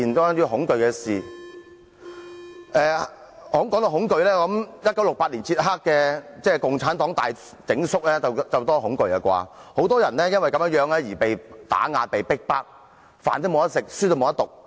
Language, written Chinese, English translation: Cantonese, 談到恐懼，我想說1968年捷克共產黨大整肅，事件令人很恐懼，很多人因此被打壓、被逼迫，沒有飯吃，不能讀書。, Talking about fear I wish to talk about the massive purge by the Czechoslovak Communist Party in 1968 . The purge left many people living in fear . Many people were suppressed and deprived of food and education